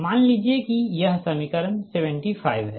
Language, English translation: Hindi, suppose this equation is seventy five